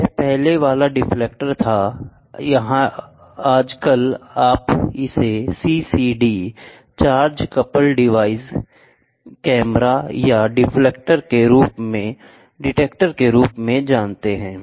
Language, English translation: Hindi, That was earlier detector or nowadays you can make it as CCD , camera or detector whatever it is